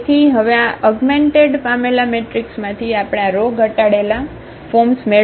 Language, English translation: Gujarati, So, now out of this augmented matrix, we have to get this row reduced forms